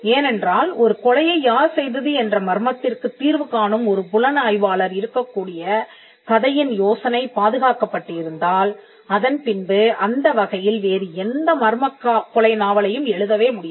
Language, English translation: Tamil, Because, that is an idea of a murder being solved by an investigator was that is protected then there cannot be any further murder mystery novels in that genres